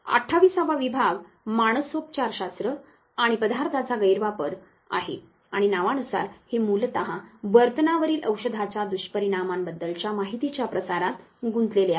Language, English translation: Marathi, The 28 division is the psychopharmacology and substance abuse and as the name suggests it is basically engages in to dissemination of information regarding the effects of drug on behavior